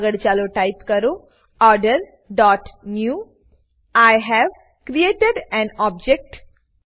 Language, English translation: Gujarati, Next let us type Order dot new(I have created an object)